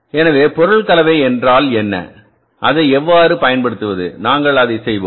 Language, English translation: Tamil, So, what is the material composition, what is the material mix and how to use it, we will be doing that